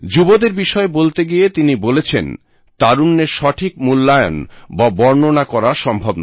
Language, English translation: Bengali, Referring to the youth, he had remarked, "The value of youth can neither be ascertained, nor described